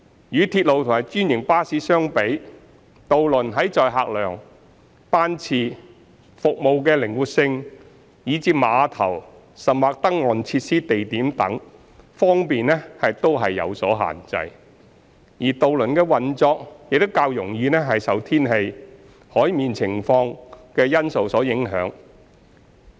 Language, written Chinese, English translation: Cantonese, 與鐵路及專營巴士相比，渡輪在載客量、班次、服務靈活性以至碼頭或登岸設施地點等方面均有所限制，而渡輪的運作亦較容易受天氣、海面情況等因素影響。, As compared with railway and franchised bus ferry has constraints in carrying capacity frequency of sailings service flexibility as well as location of piers or landing facilities . Operations are more susceptible to factors such as weather and sea conditions